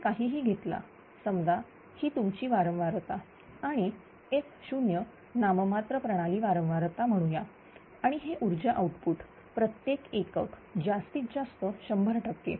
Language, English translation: Marathi, So, whatever, whatever you take, suppose you have a this is a frequency this is the frequency and f 0 is that nominal system frequency say right and this is the power output in per unit this is the maximum say 100 percent